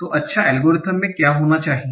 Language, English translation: Hindi, So what should be an good algorithm